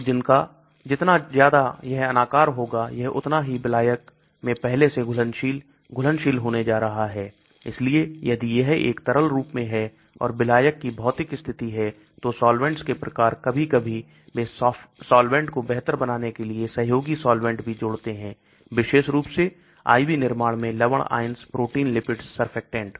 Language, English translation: Hindi, so more amorphous it is that is going to be more soluble, predissolved in solvent so if it is in a liquid form composition and physical conditions of solvent, type of solvents sometimes they add also co solvents to improve solubility especially in IV formulation, salts, ions, proteins, lipids, surfactants